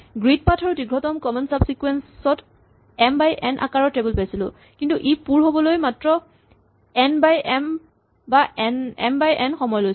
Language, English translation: Assamese, For the grid path and for longest common subsequence, we had tables, which are m by n, but it took only n by m time or m by n time to fill that